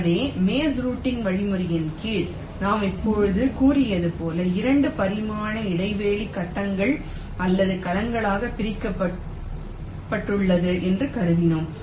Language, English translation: Tamil, so under the maze routing algorithm, where we are assuming that ah, the two dimensional space is divided into grids or cells, as i have just now said